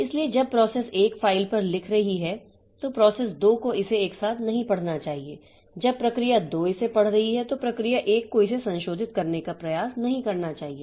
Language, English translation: Hindi, So, when process 1 is writing onto the file, process 2 should not read it or simultaneously when process 2 is reading it, process 1 should not try to modify it